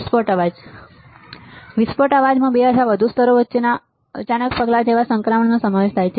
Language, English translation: Gujarati, Burst noise consists of sudden step like transitions between two or more levels